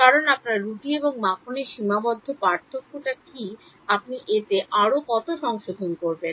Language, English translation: Bengali, Because you are what is your bread and butter finite differences how much more corrections will you do in that